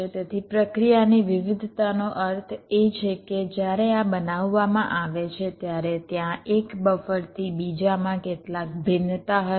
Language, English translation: Gujarati, variation means when these are fabricated, there will be some variations from one buffer to the other